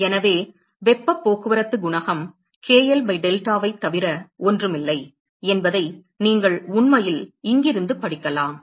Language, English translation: Tamil, So, you could actually read out from here that the heat transport coefficient is nothing, but k l by delta